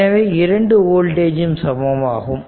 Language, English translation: Tamil, So, same voltage